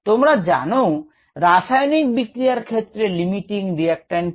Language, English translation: Bengali, you all know what a limiting reactant is